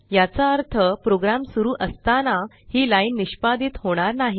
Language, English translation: Marathi, It means, this line will not be executed while running the program